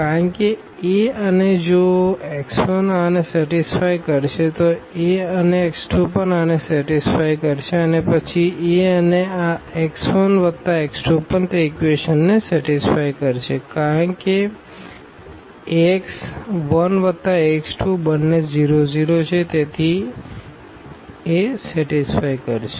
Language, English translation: Gujarati, Because A and if x 1 satisfy this and A and the x 2 also will satisfy this and then the A and this x 1 plus x 2 will also satisfy that equation because Ax 1 plus Ax 2 both are the 0, 0 so, that will also satisfy